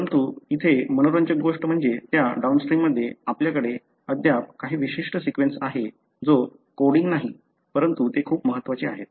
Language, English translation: Marathi, But, what is interesting here is that downstream of that, you still have certain sequence which is not coding, but they are very, very critical